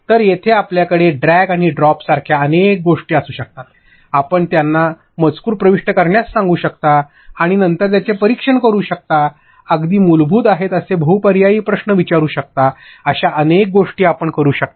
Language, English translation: Marathi, So, there you can have multiple things like drag and drop, you can ask them to enter text, and then judge it later, you can do multiple such things MCQs are very basic